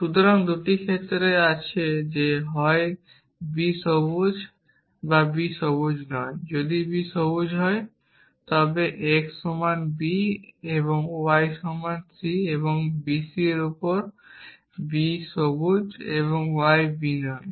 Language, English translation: Bengali, So, there are 2 cases that either b is green or b is not green if b is green then x is equal to b and y is equal to c and b is on c and b is green and y is not b